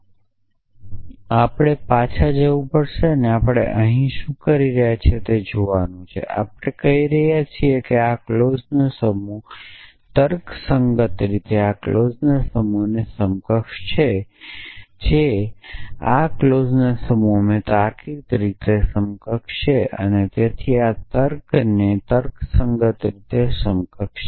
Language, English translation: Gujarati, We have to go back and see what were we are saying here, we are saying that this set of clauses logically equivalent to this set of clauses which is logically equivalent to this set of clauses and so on which is logically equivalent to this clause